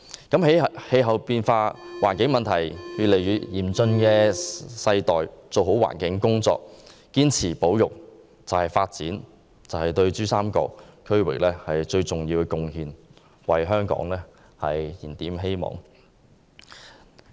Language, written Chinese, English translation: Cantonese, 在氣候變化和環境問題日益嚴峻的世代做好環境工作，堅持保育，是對珠三角區域發展最重要的貢獻，為香港燃點希望。, In the face of deteriorating climate change and environmental problems we should make all - out effort to conserve the environment . That is the most important contribution to the development of PRD and will kindle hope for Hong Kong